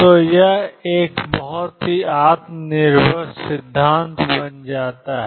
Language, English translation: Hindi, So, this becomes a very self consistent theory